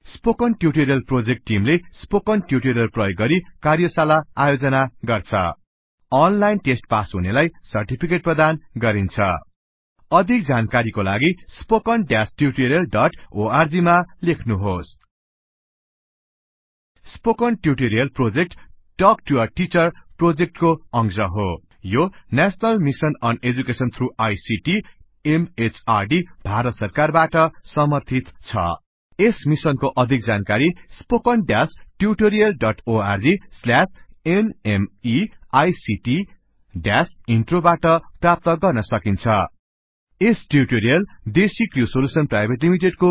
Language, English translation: Nepali, The Spoken Tutorial Project Team Conducts workshops using spoken tutorials Gives certificates for those who pass an online test For more details, please write to contact at spoken hyphen tutorial dot org Spoken Tutorial Project is a part of the Talk to a Teacher project It is supported by the National Mission on Education through ICT, MHRD, Government of India More information on this Mission is available at spoken hyphen tutorial dot org slash NMEICT hyphen Intro This tutorial has been contributed by ..............................